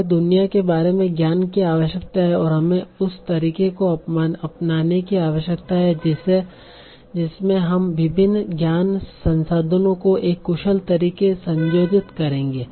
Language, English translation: Hindi, We need a knowledge about the world and we need to have a way in which we can combine various knowledge resources in an efficient manner